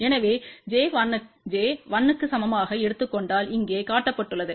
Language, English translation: Tamil, So, over here if we take j equal to 1 which is what is shown over here